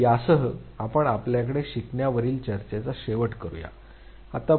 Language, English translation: Marathi, So, with this we come to our, the end of our discussion on learning